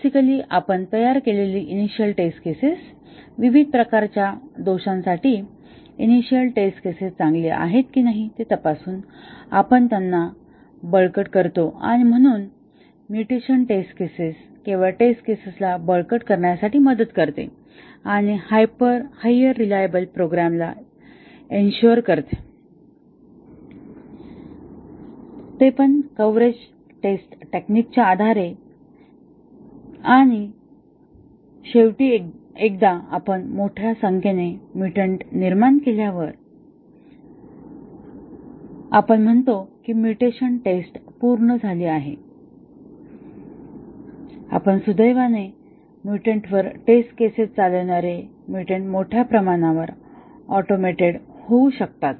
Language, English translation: Marathi, Basically, the initial test cases that we had designed, we strengthen them by checking whether the initial test cases are good for various categories of faults and so, mutation testing just helps us to strengthen the test cases and ensure higher reliability of the programs than the coverage based test techniques and finally, once we have generated large number of mutants, we say that our mutation testing is complete and fortunately generating mutants running the test cases on the mutants can be largely automated